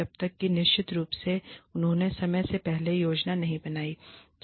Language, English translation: Hindi, Unless of course, they have not planned, ahead of time